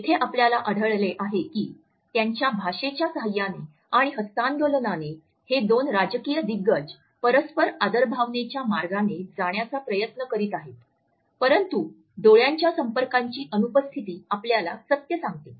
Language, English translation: Marathi, Here we find that with the help of their language as well as with the help of the handshake these two political giants are trying to pass on a sense of mutual respect, but it is the absence of eye contact which gives us the truth of the pitch; however, it is the absence of the eye contact which is noticeable